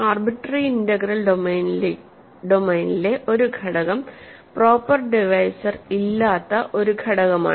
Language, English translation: Malayalam, So, an irreducible element in an arbitrary integral domain is an element which has no proper divisors